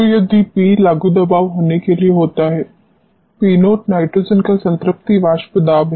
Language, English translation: Hindi, So, if P happens to be the applied pressure P naught is the saturation vapour pressure of nitrogen